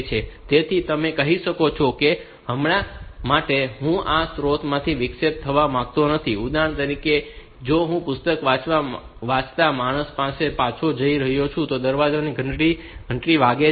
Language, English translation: Gujarati, So, you can I can say that for the time being, I do not want to get interrupted from this source for example, as I going back to the human being reading a book and the door bell rings